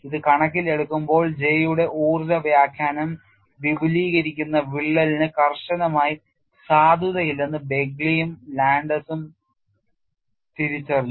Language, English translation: Malayalam, In view of that, Begly and Landes recognized that the energy interpretation of J is not strictly valid for an extending crack